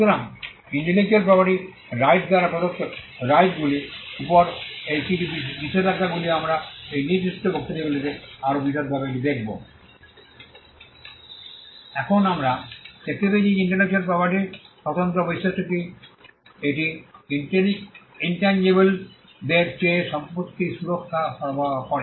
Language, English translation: Bengali, So, these are some of the restrictions on the rights that have been conferred by intellectual property rights we will be looking at this in greater detail in these specific lectures Now, we found that the distinguishing feature of intellectual property is that it offers property protection over intangibles